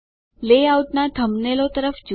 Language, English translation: Gujarati, Look at the layout thumbnails